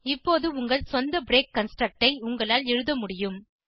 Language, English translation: Tamil, Now you should be able to create your own break construct